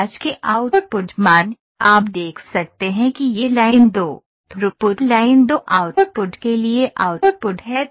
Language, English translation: Hindi, So, the output values of interest you can see this is the output for line 2, throughput line 2 output